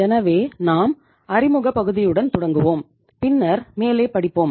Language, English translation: Tamil, So we will start just with the introductory part and then we will build up the story